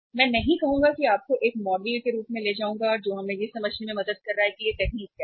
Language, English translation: Hindi, I will not I will take you to the say uh a model which is helping us to understand that what this technique is